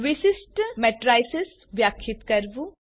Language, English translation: Gujarati, Define special matrices